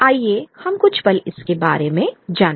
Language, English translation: Hindi, Let us go through it for a moment